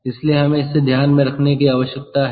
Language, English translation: Hindi, ok, so we need to keep it in mind